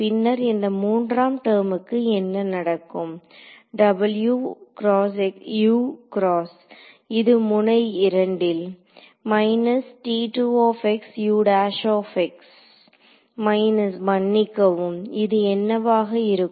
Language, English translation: Tamil, And then this third term over here what happens, w x u x so it will be a minus w x is T 2 x u prime x at node 2 minus node sorry what will it be